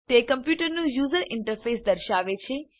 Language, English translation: Gujarati, It displays the computers user interface